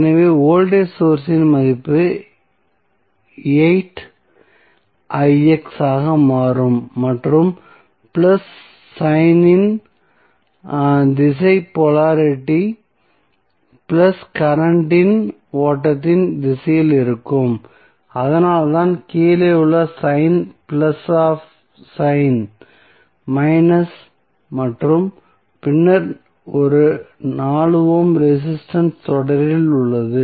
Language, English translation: Tamil, So, the value of voltage source would become 2 into 4 that is 8i x and the direction of plus sign the polarity would be plus would be in the direction of flow of the current so that is why the below sign is plus up sign is minus and then in series with one 4 ohm resistance